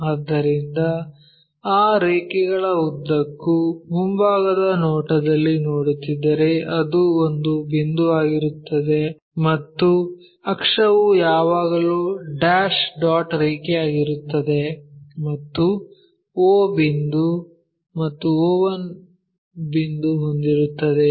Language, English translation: Kannada, So, along that line if you are looking in the front view it will be a point and axis always be dashed dot line and you will have o point and o 1 point o o 1 point